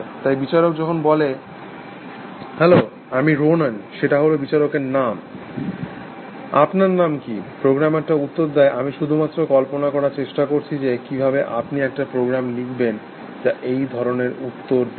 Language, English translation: Bengali, So, the judge says hello, I am Ronan, that is the name of the judge, what is your name, the program response, I am just try to imagine, how would you write a program, which would respond like this